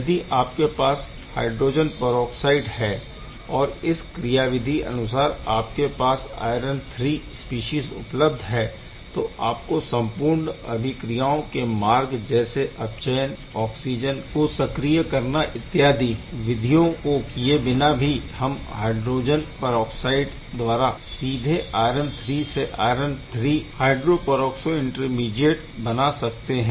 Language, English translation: Hindi, Now, in case of the peroxides and when mechanism where iron III is getting generated, you do not need all the way traveling by reduction and oxygen activation and one can directly react with this iron III to form the iron III hydro peroxo intermediate